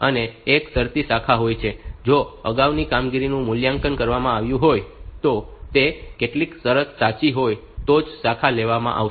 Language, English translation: Gujarati, And there is a conditional branch it is this branch will be taken if the previous operation it evaluated to some condition being true